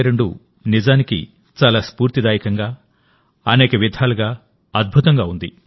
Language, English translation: Telugu, 2022 has indeed been very inspiring, wonderful in many ways